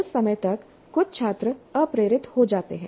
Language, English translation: Hindi, By that time some of the students do get demotivated